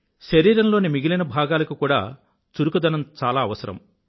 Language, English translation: Telugu, Other parts of the body too require physical activity